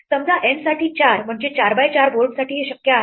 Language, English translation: Marathi, For N equal to 4 for 4 a 4 by 4 board, it does turn out to be possible